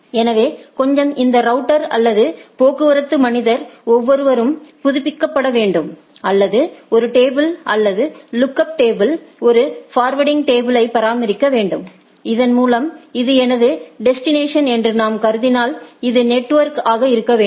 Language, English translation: Tamil, So, what it needs to do that every this router or the traffic man needs to be updated or maintain a table or lookup table a forwarding table by which, if say if we looks that this is my destination, this should be the network right